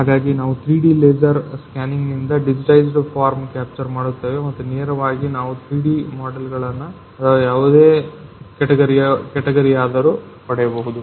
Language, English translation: Kannada, So, we capture the digitized form by the 3D laser scanning and we can get directly 3D models or any kind of category